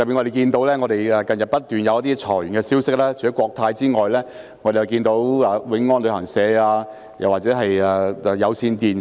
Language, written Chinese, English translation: Cantonese, 近日不斷有裁員消息，除了國泰航空公司外，還有永安旅行社及有線電視。, Recently there have been reports of layoffs at Cathay Pacific Airways Wing On Travel and Cable Television